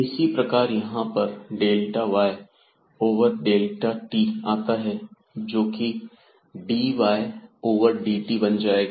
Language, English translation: Hindi, Here again we have delta y divided by delta t and it is dx and dy will be also divided by delta t